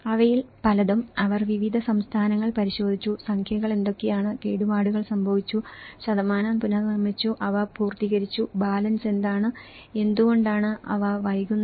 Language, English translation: Malayalam, Many of that, they looked at different states, what are the number, which has been damaged and the percentage have been reconstructed, which have been completed and what is the balance okay and why they are delayed